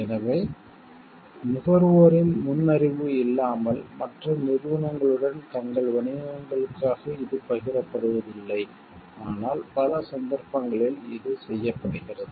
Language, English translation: Tamil, So, it is not shared with other companies for their businesses without the prior knowledge of the consumers, but in many cases this is done